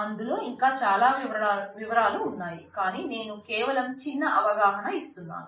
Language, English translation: Telugu, There are far more details in that, but I am just giving you the glimpse